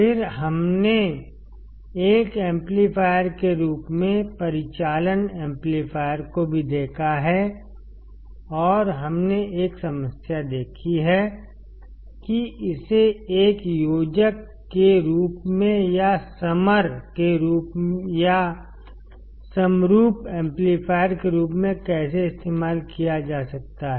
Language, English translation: Hindi, Then we have also seen, the operational amplifier as a summing amplifier and we have seen a problem, how it can be used as a adder or as a summer or the summing amplifier